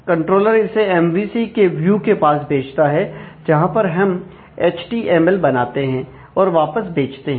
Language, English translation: Hindi, So, the controller sends it to the view of the MVC, the view we prepare the HTML that needs to go back